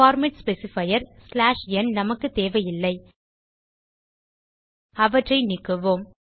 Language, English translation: Tamil, We dont need the format specifier and /n Let us delete them